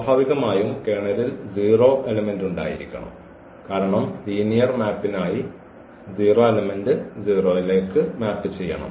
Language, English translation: Malayalam, Naturally, the 0 element must be there because the 0 must map to the 0 for the linear map